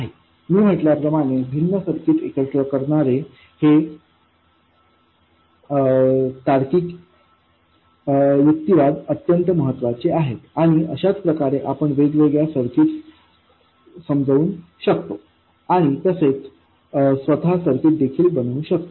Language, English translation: Marathi, As I said, these logical arguments combining different circuits are extremely important and that's how you can understand different circuits and also come up with circuits on your own